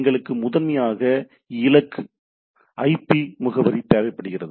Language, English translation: Tamil, We require primarily the IP address of the destination right